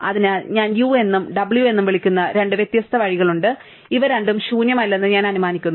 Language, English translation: Malayalam, So, there are two separate disjoint paths which I will call u and w, and I am assuming that both of these are non empty